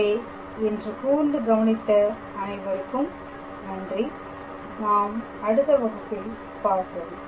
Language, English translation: Tamil, So, I thank you for your attention for today and I will see you in the next class